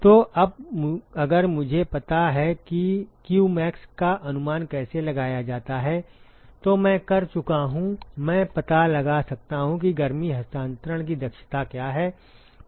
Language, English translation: Hindi, So, now, if I know how to estimate qmax, I am done I can find out what is the efficiency of heat transfer